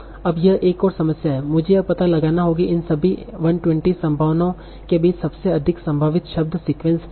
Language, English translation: Hindi, Now this is another problem that I will have to find out what is the most likely word sequence among all these 120 possibilities